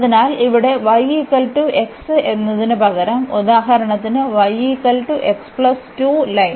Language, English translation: Malayalam, So, here we have instead of y is equal to x for example, y is equal to x plus 2 line